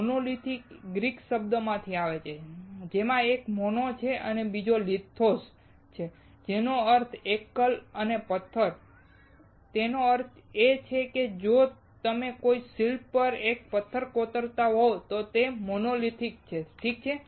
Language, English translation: Gujarati, Monolithic comes from the Greek words one is mono and second is lithos; that means, single and stone; that means, that if you carve a single stone to a sculpture it is monolithic, alright